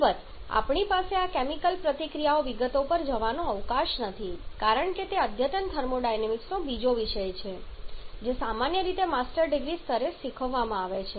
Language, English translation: Gujarati, Of course we do not have the scope of going to the details of this chemical reaction because that is an earlier topic of advanced thermodynamics which is commonly taught at the master degree level